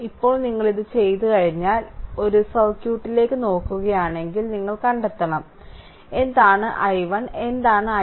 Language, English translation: Malayalam, Now, once we have done it once you have done it, now if you look into that your what you call the circuit you have to find out, what is i 1 what is i 2